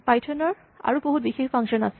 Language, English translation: Assamese, Now python has other special functions